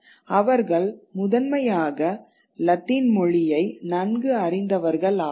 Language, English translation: Tamil, So, they are bilinguals but they are well versed primarily in Latin